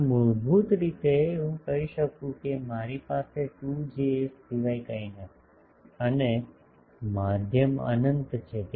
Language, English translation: Gujarati, So, basically I can say that I have nothing but a 2 Js, and the medium is unbounded